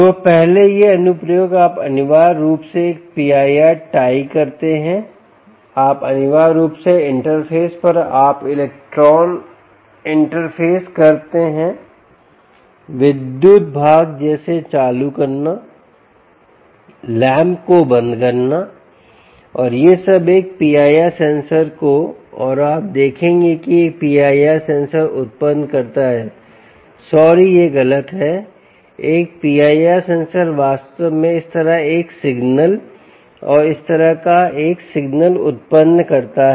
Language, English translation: Hindi, so first, these applications, you essentially tie a p i r, you essentially interface at you interface the electron, the electrical part, like turning on, turning off lamps, and all that to a p i r sensor and you will see that a p i r sensor generates sorry, this is incorrect